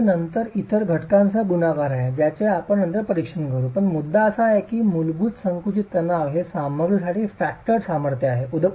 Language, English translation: Marathi, Now this is then multiplied with other factors which we will examine subsequently but the point is the basic compressive stress is a factored strength of the material